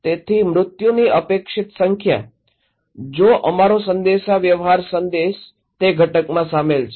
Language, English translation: Gujarati, So, expected number of fatalities, if our is communication message is including that component